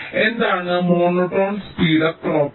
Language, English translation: Malayalam, so what is monotone speedup property